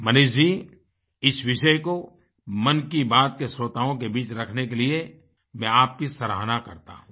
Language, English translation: Hindi, Manishji, I appreciate you for bringing this subject among the listeners of Mann Ki Baat